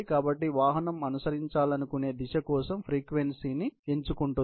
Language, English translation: Telugu, So, the vehicle selects a frequency for the direction it wants to follow